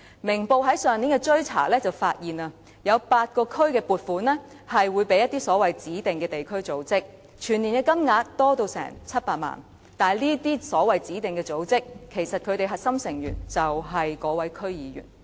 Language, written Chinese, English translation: Cantonese, 《明報》在上年的追查中，便發現有8個區的撥款是會交給一些指定地區組織，全年金額高達700萬元，但這些所謂的指定組織的核心成員，其實便是該名區議員。, In the investigation conducted by Ming Pao Daily News last year it was found that funds in eight districts were allocated to certain designated district organizations and the amount involved was as much as 7 million . However the core members of these so - called designated organizations are the DC members concerned